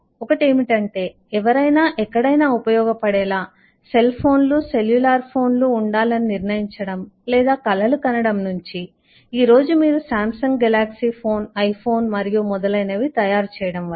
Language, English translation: Telugu, 1 is when somebody started deciding that or dreaming that there should be cell phones, cellular phones which should be usable anywhere, to the point when, today, you start making samsung galaxy phone, iphones and so on